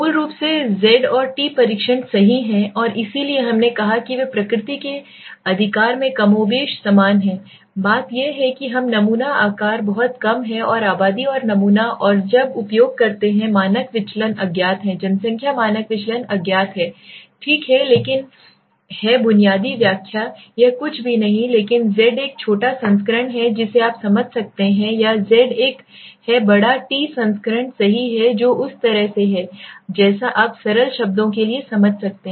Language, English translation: Hindi, Basically z, t test right and so we said they are more and less similar in nature right, the only thing being that, t we use when the sample size is very less and the population and sample and the standard deviation is unknown the population standard deviation is unknown, right but the basic interpretation is this is nothing but z is but a smaller version you can understand or Z is a larger t version right that is with the way you can understand for simple terms